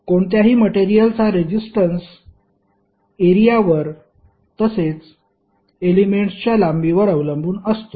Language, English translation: Marathi, Resistance of any material is having dependence on the area as well as length of the element